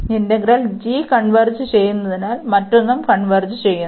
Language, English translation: Malayalam, And since this integral g converges, the other one will also converge